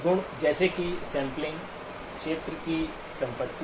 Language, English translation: Hindi, Properties such as the sampling, the area property